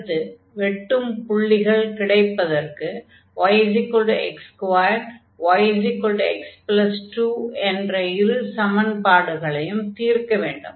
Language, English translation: Tamil, So, this point of intersection again; so, y is equal to x square and y is equal to x plus 2